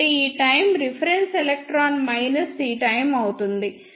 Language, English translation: Telugu, So, this time will be time taken by the reference electron minus this time